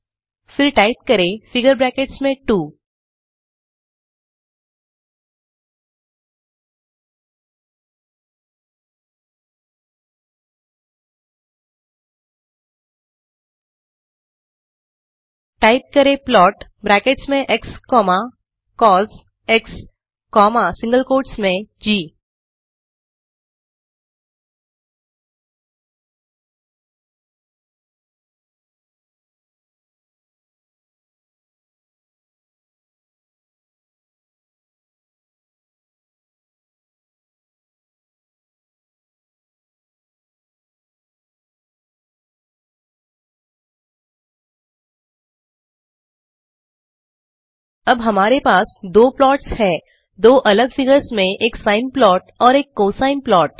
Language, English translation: Hindi, Then type plot within bracket x comma cos comma within single quotes g Now we have two plots, a sine plot and a cosine plot in two different figures